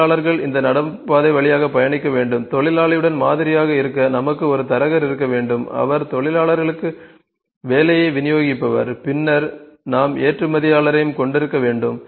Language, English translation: Tamil, Workers have to travel through this footpath, to model with worker we need to have a Broker as well who would distribute the work to a workers, then we have need to have Exporter as well ok